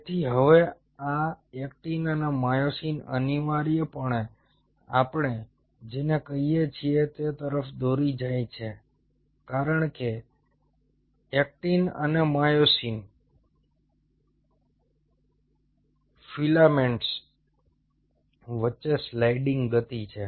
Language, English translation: Gujarati, ok, so now, and these actin and myosin essentially leads to what we call, as there is a sliding motion between actin and myosin filaments